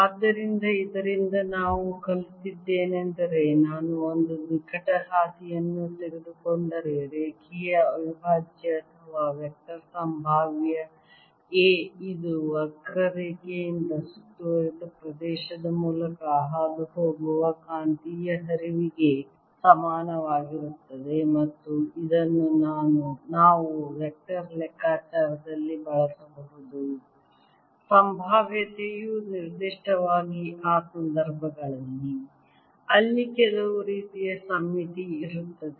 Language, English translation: Kannada, therefore, what we learn from this is that if i take around a close path, the line integral or vector potential a, it is equal to the magnetic flux passing through the area enclosed by the curve, and this we can make use of in calculating the vector potential, particularly in those situations where the there's some sort of a symmetry